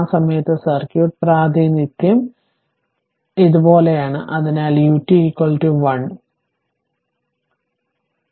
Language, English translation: Malayalam, And at that time circuit representation is like this, so U t is equal to 1 right, so anyway